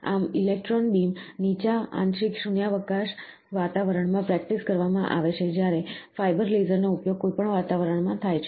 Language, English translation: Gujarati, Thus electron beam is practised in low partial vacuum environment whereas the fibre laser is used in any atmosphere